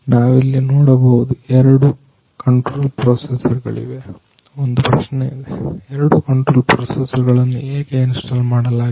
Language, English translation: Kannada, Here we can see the two control processors are there say, one question is there, why two control processors are installed heres